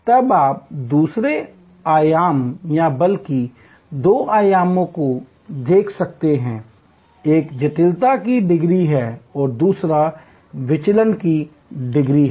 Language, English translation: Hindi, Then you can look at another dimension or rather two dimensions, one is degree of complexity and another is degree of divergence